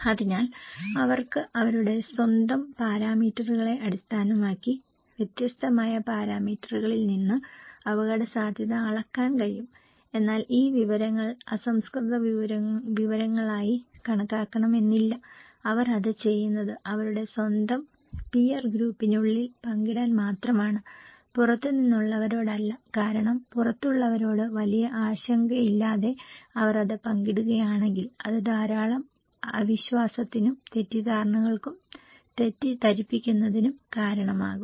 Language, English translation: Malayalam, So, they can have measured the risk from a different parameters, from based on their own parameters but not necessarily that these informations considered to be at raw informations, they only do it to share among themselves within their own peer group, not to outsiders because if they share it without much concern to the outsiders, it can cause lot of mistrust and misconfusions and misleading, okay